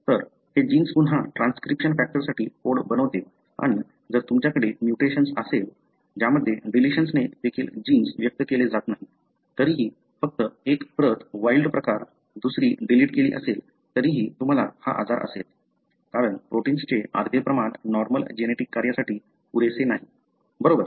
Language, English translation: Marathi, So, this gene again codes for a transcription factor and if you have a mutation, in which even a deletion, the gene is not expressed, even then just one copy wild type, other one is deleted, still you would have the disease, because the half the amount of protein is not good enough for a normal biological function, right